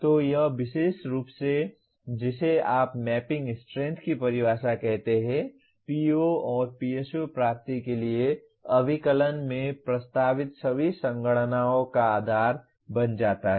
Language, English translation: Hindi, So this particular what do you call definition of mapping strength becomes the basis for all computations subsequently proposed in computing the PO/PSO attainment